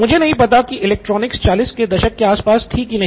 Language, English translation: Hindi, I do not know if electronics is around in the 40’s